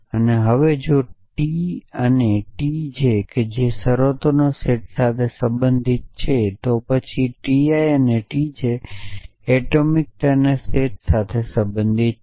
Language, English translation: Gujarati, And now, if t i and t j belongs to a set of terms then t i equal to t j belongs to the set of atomic